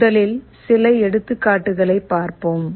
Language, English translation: Tamil, First let us look at some examples